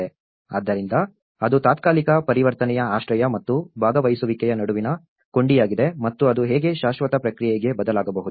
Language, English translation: Kannada, So, that is the link between the temporary transition shelter and with the participation and how it can actually make shift into the permanent process